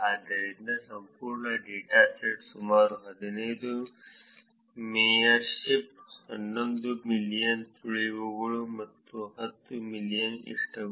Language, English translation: Kannada, So, the entire dataset is about 15 million mayorships, close to 11 million tips, and close to ten million likes